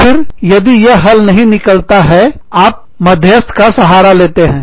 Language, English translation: Hindi, And, if still, it is not resolved, then you resort to arbitration